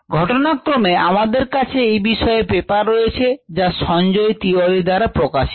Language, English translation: Bengali, we have ah paper on this, which was the work was a done by sanjay tiwari